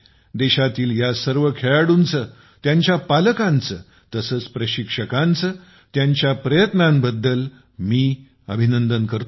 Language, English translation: Marathi, I congratulate all these athletes of the country, their parents and coaches for their efforts